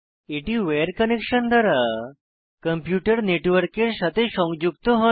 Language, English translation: Bengali, It is a wired connection that allows a computer to connect to a network